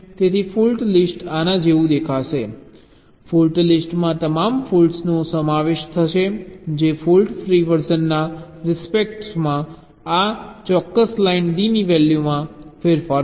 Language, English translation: Gujarati, so fault list will look like this fault list will consists of all the faults that will change the value of this particular line d with respect to the fault free version